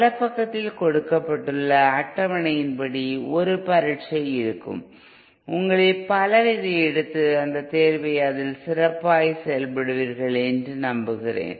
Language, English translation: Tamil, There will be an exam as per the schedule given on the web page, I hope many of you take this take that exam and do well in um